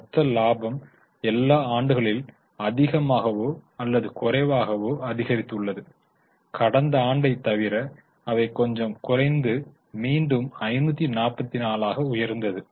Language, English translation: Tamil, The gross profits are more or less increased in all the years except in last year they decreased a bit and again they have jumped up to 544